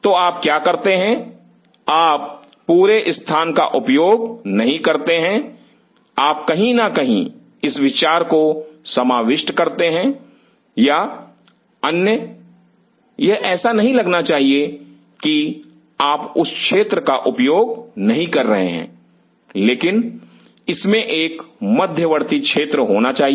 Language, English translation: Hindi, So, what do you do you do not consume the whole area, you kind of cover the idea by somewhere or other it should not look like that you are not utilizing that area, but it should have a buffer space